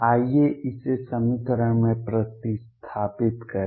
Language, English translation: Hindi, Let us substitute this in the equation